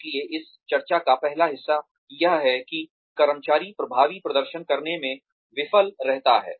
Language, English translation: Hindi, So, the first part of this discussion is that, the employee fails to perform effectively